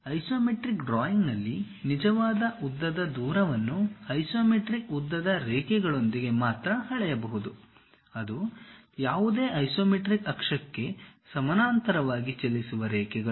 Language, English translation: Kannada, In an isometric drawing, true length distance can only be measured along isometric lengths lines; that is lines that run parallel to any of the isometric axis